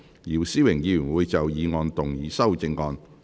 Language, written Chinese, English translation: Cantonese, 姚思榮議員會就議案動議修正案。, Mr YIU Si - wing will move an amendment to the motion